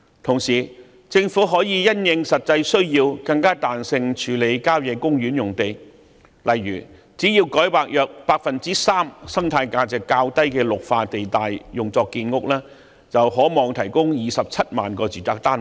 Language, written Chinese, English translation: Cantonese, 同時，政府可以因應實際需要，更彈性處理郊野公園用地，例如只要改劃約 3% 生態價值較低的綠化地帶用作建屋，便可望提供27萬個住宅單位。, Meanwhile the Government may handle country park sites with greater flexibility according to actual needs . For instance rezoning 3 % of the green belts with relatively low ecological value for housing construction can hopefully provide 270 000 residential units